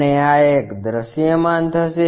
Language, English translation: Gujarati, And this one will be visible